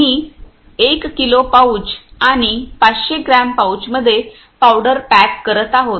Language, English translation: Marathi, We are packing in a powder in a 1 kg pouch and 500 gram pouches